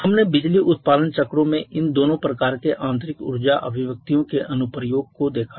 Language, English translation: Hindi, We have seen the application of both of these kinds of energy manifestation in power producing cycles